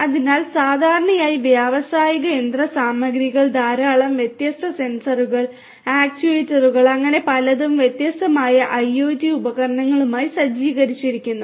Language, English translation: Malayalam, So, typically industrial machinery having fitted with large number of different sensors, actuators and so on, all these different IoT devices